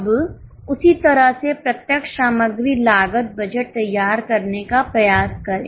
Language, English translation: Hindi, Now same way try to prepare direct material cost budget